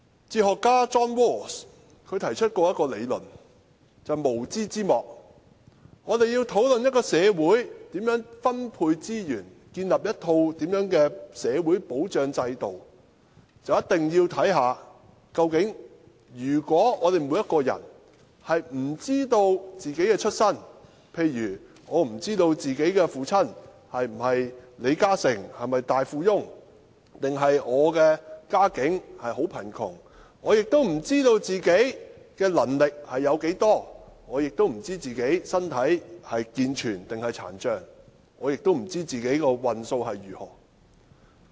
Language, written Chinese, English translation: Cantonese, 哲學家 John RAWLS 曾提出名為"無知之幕"的理論，指出當我們要討論應如何分配社會資源和建立一套社會保障制度時，便一定要看看我們每個人是否知道自己的出身，例如有些人不知道自己的父親是否李嘉誠或大富翁還是家境貧窮、自己的能力如何、自己的身體是健全還是殘障，又或自己的運數如何。, According to the theory veil of ignorance put forward by philosopher John RAWLS when we discuss how to distribute resources in society and establish a social security system we must look at whether every one of us knows our own origins . For example some people do not know whether they were born to LI Ka - shing or a wealthy father or of humble origins what their abilities are whether they are able - bodied or physically impaired or what their fortune is